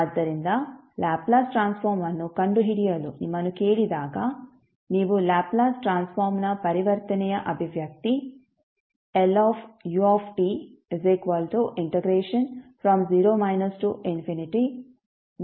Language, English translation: Kannada, So, when you when you are asked to find the Laplace transform you will use the expression for conversion of Laplace transform that is Laplace of ut is nothing but integration between 0 minus to infinity 1 into e to the power minus st dt